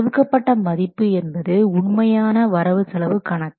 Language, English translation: Tamil, The assigned value is the original budgeted cost